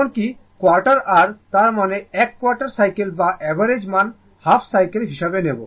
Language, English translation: Bengali, Even quarter your; that means, in quarter cycle whatever rms or average value you will get ah you take half cycle